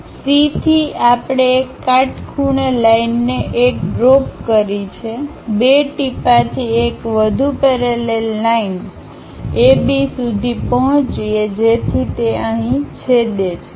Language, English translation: Gujarati, So, from C we have located 1 drop a perpendicular line, from 2 drop one more parallel line to A B so that it goes intersect here